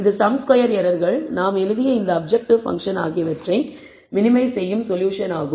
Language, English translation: Tamil, And this is the solution that minimizes the sum squared errors, this objective function that we have written